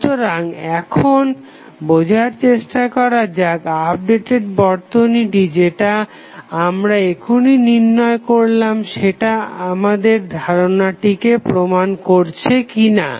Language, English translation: Bengali, So, let us now try to understand and derive whether the updated circuit which we have just calculated justifies the claim or not